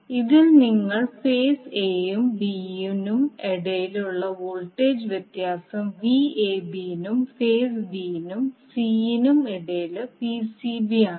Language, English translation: Malayalam, In this you will see the voltage difference between phase a and b is Vab between phase b and c is Vcb